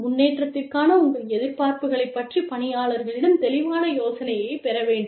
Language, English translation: Tamil, The employee should gain a clear idea, of your expectations, for improvement